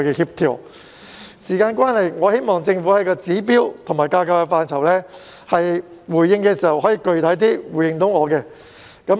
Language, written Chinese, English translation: Cantonese, 由於時間關係，我希望政府就指標和架構等範疇回應我時，可以具體一點。, Given the time constraint I hope that the Government can be more specific in its response to me on such areas as standards and structure